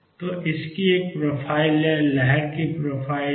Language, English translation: Hindi, So, it has a profile the wave has the profile